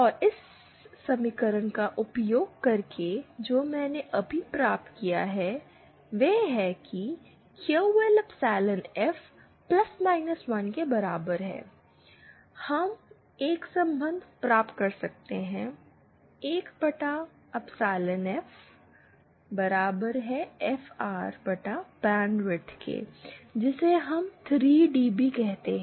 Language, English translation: Hindi, And further using the equation that I just derived, that is QL epsilon F is equal to + 1, we can obtain a relationship for 1 upon epsilon F is equal to FR into bandwidth which we call the 3 dB